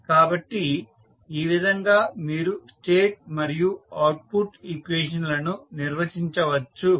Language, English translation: Telugu, So, in this way you can define the state and output equation